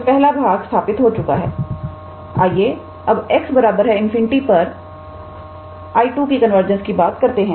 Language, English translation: Hindi, So, the first part is settled now let us go to the convergence of I 2 at x equals to infinity